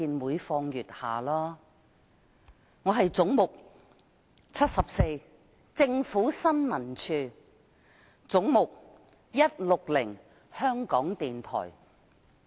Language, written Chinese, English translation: Cantonese, 我現在就"總目 74― 政府新聞處"及"總目 160― 香港電台"發言。, I will now speak on Head 74―Information Services Department and Head 160―Radio Television Hong Kong